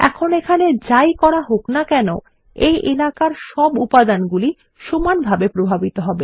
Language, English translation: Bengali, Now whatever action we do here, will affect all the elements inside this area, uniformly